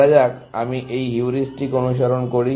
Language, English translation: Bengali, Let us say, I follow this heuristic